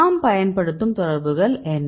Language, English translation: Tamil, What are the interactions we use